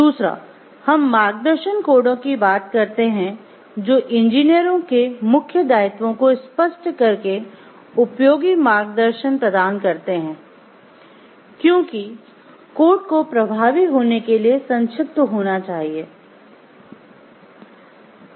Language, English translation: Hindi, Second we talk of guidance codes provide helpful guidance by articulating the main obligations of engineers because, codes should be brief to be effective they offered mostly general guidance